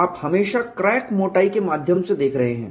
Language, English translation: Hindi, You have always been seeing through the thickness crack